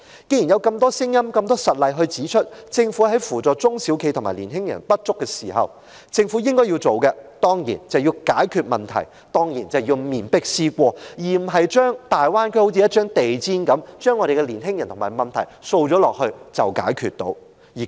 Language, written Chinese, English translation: Cantonese, 既然有這麼多聲音和實例指出，政府在扶助中小企和年青人有所不足時，政府所應做的當然是解決問題、面壁思過，而不是將我們的年青人和問題像掃進地毯底一樣掃去大灣區，便當是解決了問題。, Since so many voices and concrete examples have pointed out that the Government is deficient in assisting SMEs and young people it certainly should address the problem and reflect on its mistakes . But instead it proposes to send our young people to the Greater Bay Area just like sweeping the problems under the carpet and assumes that the problem is resolved